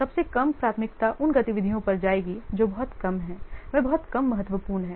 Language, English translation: Hindi, The list priority will go to the work the activities, those are very, what, less of those are very less important